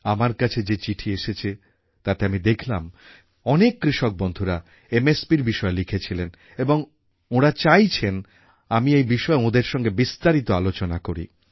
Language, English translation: Bengali, I have received a number of letters in which a large number of farmers have written about MSP and they wanted that I should talk to them at length over this